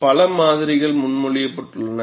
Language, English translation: Tamil, Several models have been proposed